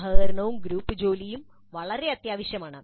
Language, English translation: Malayalam, Collaboration and group work is very essential